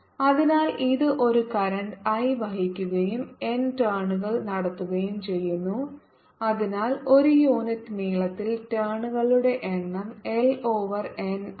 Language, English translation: Malayalam, so it carries a current i, i and has n turns, so that the number of turns per unit length is n over l